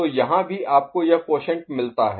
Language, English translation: Hindi, So, here also you get this quotient